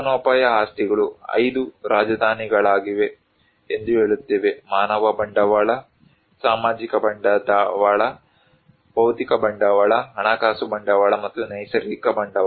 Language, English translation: Kannada, Livelihood assets we say that there are 5 capitals; human capital, social capital, physical capital, financial capital, and natural capital